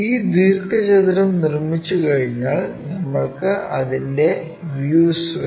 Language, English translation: Malayalam, Once this rectangle is constructed, we want views of that